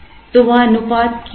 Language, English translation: Hindi, So, what is that ratio